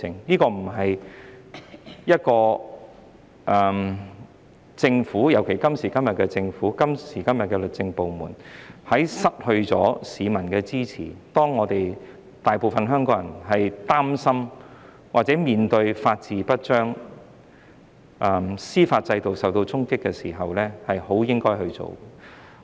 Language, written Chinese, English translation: Cantonese, 當政府，尤其是今時今日的政府及律政部門失去市民支持，當大部分香港人擔心或面對法治不彰、司法制度受到衝擊時，這些修訂不是很應該去做的。, When the Government especially the present Government and the legal department has lost public support and when most Hong Kong people are worried about or experiencing a failure in the rule of law and an impact on the judicial system it may not be worth making these amendments